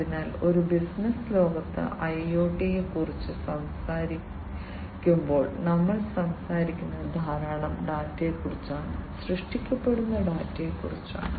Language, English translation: Malayalam, So, when we talk about IoT in a business world, we are talking about lot of data, data that is generated